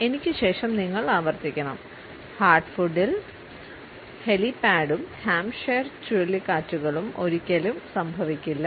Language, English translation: Malayalam, Now you repeat there after me in heart food helipad and Hampshire hurricanes hardly ever happen